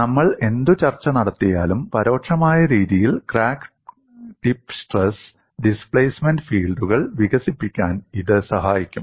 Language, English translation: Malayalam, Whatever the discussion that we do, it will help us to develop the crack tip stress and displacement fields in an indirect manner